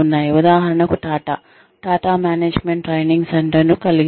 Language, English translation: Telugu, For example, Tata has, Tata management training center